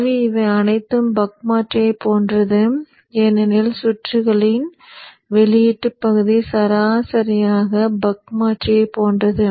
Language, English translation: Tamil, So all these are just like the buck converter because the output portion of the circuit is exactly like the buck converter